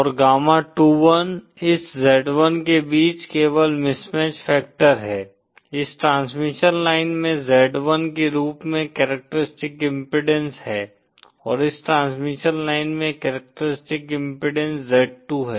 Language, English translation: Hindi, And gamma21 is simply the mismatch factor between this z1, this transmission line having characteristic impedance as z1 & this transmission line having characteristic impedance z2